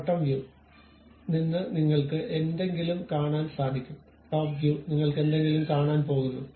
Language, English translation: Malayalam, From bottom view you are going to see something; top view you are going to see something